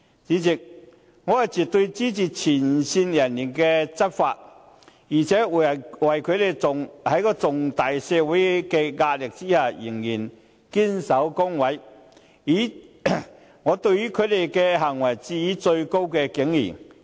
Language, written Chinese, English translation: Cantonese, 主席，我絕對支持前線人員執法，而且對於他們在社會巨大的壓力下，仍然能夠堅守崗位的行為，致以最高敬意。, President I absolutely support the enforcement of law by frontline officers . Moreover I have the highest respect for them for their dedication under tremendous social pressure